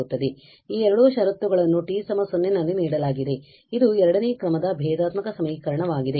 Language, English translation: Kannada, So, this t equal to 0 two conditions are given it is the second order differential equation